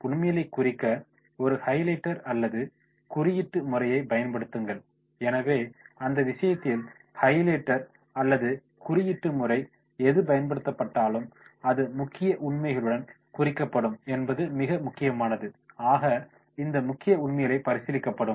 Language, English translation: Tamil, Use a highlighter or coding system to mark key facts, so therefore in that case it becomes very very important that whatever the highlighter or coding system is used and that will be marked with the key facts will be there and on these key facts most important facts will be considered